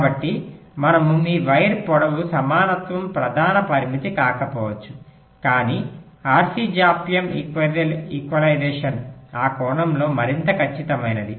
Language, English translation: Telugu, so we, your wire length equalization may not be the main parameter, but r, c delay equalization